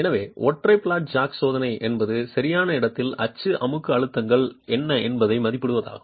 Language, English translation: Tamil, So the single flat jack testing is meant to estimate what the in situ axial compressive stress is